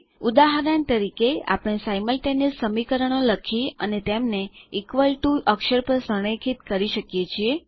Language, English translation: Gujarati, For example, we can write simultaneous equations and align them on the equal to character